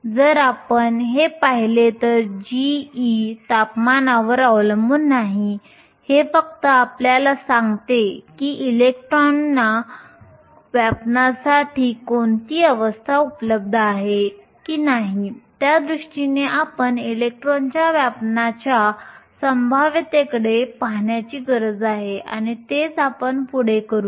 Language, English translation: Marathi, If you also look at this expression g of e is independent of temperature it only tells you what are the states that are available for the electrons to occupy it does not tell you whether the electrons occupy those states or not in order to do that we need to look at the occupation probability of electrons and that is what we will do next